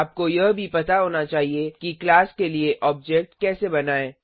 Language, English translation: Hindi, You must also know how to create an object for the class